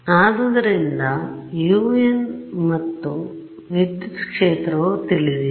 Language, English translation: Kannada, So, it appears over there and electric field is unknown u